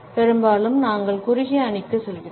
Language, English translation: Tamil, Often times, we go for the shortest team